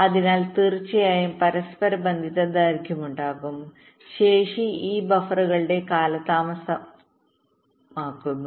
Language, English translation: Malayalam, so there will be the interconnection lengths, of course, the capacity rise, the affects and also the delay of the this buffers